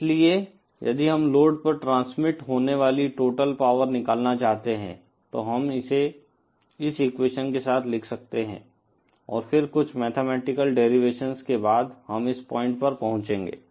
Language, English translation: Hindi, So, if we want to calculate the total power that is transmitted to the load, then we can write it along this equation and then after some mathematical derivations, we will arrive at this point